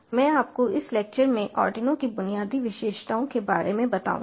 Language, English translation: Hindi, ah, i will be taking you through the basic features of arduino in this lecture